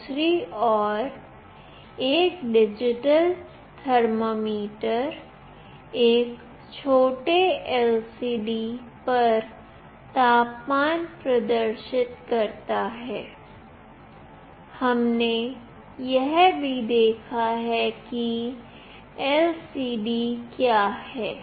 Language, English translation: Hindi, On the other hand, a digital thermometer displays the temperature on a tiny LCD; we have also seen what an LCD is